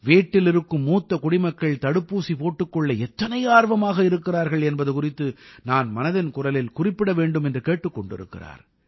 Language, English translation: Tamil, She urges that I should discuss in Mann ki Baat the enthusiasm visible in the elderly of the household regarding the vaccine